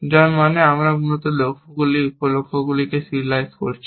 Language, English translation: Bengali, we have serializing the goals, sub goals, essentially